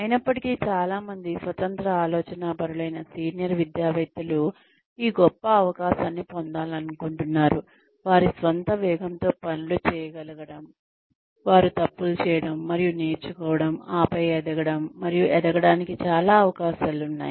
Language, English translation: Telugu, Though, a lot of independent thinking senior academicians, would like to have this great opportunity, of being able to do things, at their own pace, make their own mistakes, and learn, and then grow, and have so many opportunities to grow